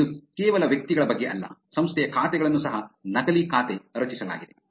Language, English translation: Kannada, And it is not just about individuals, even organization's accounts are actually created fake